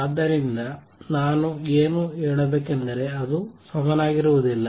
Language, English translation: Kannada, So, what I should say is not necessarily equal to